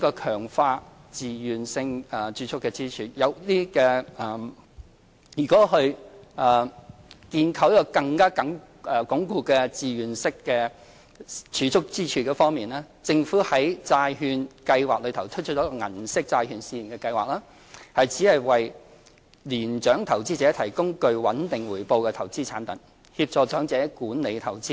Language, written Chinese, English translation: Cantonese, 強化自願性儲蓄支柱在建構更穩固的自願性儲蓄支柱方面，政府在債券計劃下推出銀色債券試驗計劃，旨在為年長投資者提供具穩定回報的投資產品，協助長者管理投資。, Enhancing the voluntary savings pillar In consolidating the voluntary savings pillar the Government has launched the Silver Bond Pilot Scheme under the Government Bond Programme with an aim to provide elderly investors with investment products offering stable returns and help them with investment management